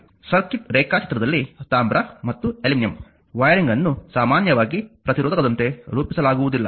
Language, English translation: Kannada, In a circuit diagram copper or aluminum wiring is copper or aluminum wiring is not usually modeled as a resistor